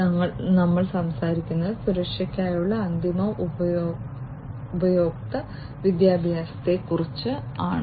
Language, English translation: Malayalam, So, we are talking about, you know, end user education for security